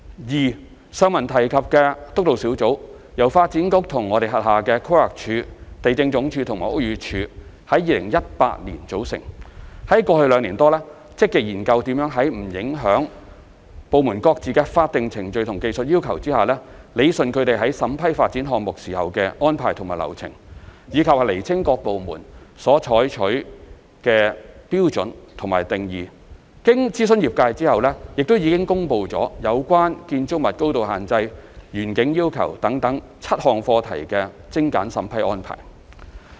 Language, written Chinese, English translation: Cantonese, 二上文提及的督導小組，由發展局規劃地政科與其轄下規劃署、地政總署和屋宇署在2018年組成，在過去兩年多積極研究如何在不影響部門各自的法定程序和技術要求下，理順他們在審批發展項目時的安排和流程，以及釐清各部門所採用的標準和定義；經諮詢業界後，已公布有關建築物高度限制、園景要求等7項課題的精簡審批安排。, 2 The aforementioned Steering Group comprising DEVB and the Planning Department PlanD the Lands Department LandsD and the Buildings Department BD thereunder was set up in 2018 . In the past two years it has been working proactively to explore how best to rationalize the approval process and arrangements without prejudicing the relevant statutory procedures and technical requirements as well as to clarify the standards and definitions adopted by departments . In consultation with the industry streamlined measures covering seven topics such as building height restriction and landscape requirements have been promulgated